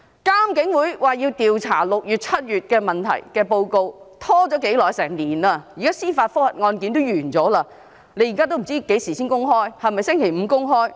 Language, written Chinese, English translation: Cantonese, 監警會調查6月、7月所發生的問題的報告，拖延了1年，司法覆核的案件也完結了，現在仍未知何時會公開，是否將於星期五公開？, The report of IPCC on the problems which arose in June and July has been delayed for a year . The case of the judicial review has already been closed but now we still have no idea when it will be published . Is it going to be published on Friday?